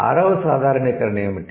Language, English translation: Telugu, What is the sixth generalization